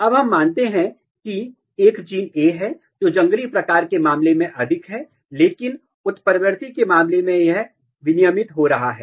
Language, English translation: Hindi, Now since let us assume that, there is a gene A, which is more in case of wild type, but it is getting down regulated in case of mutant